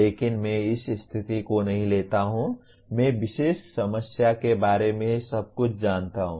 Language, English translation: Hindi, But I do not take a position I know everything about this particular problem